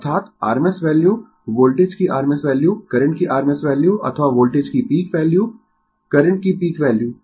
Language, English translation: Hindi, That is, rms value rms value of the voltage rms value of the current or peak value of the voltage peak value of the current right